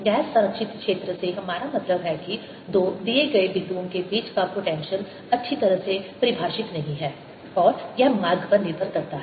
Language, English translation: Hindi, what me mean is that the potential between two given points is not well defined and it depends on the path